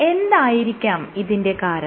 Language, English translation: Malayalam, So, what is the reason for that